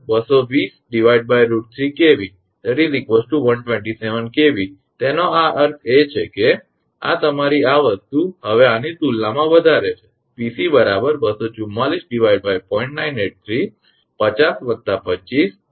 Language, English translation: Gujarati, Now, Vn is equal to 220 upon root 3 kV that is 127 kV so; that means, this one your this thing higher than this one now Pc will be 244 upon 0